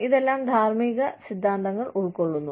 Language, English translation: Malayalam, All of this constitutes, ethical theories